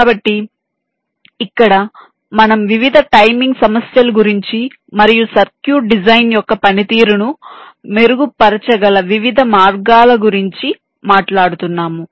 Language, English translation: Telugu, so here we shall be talking about the various timing issues and the different ways in which you can enhance the performance of a design of the circuit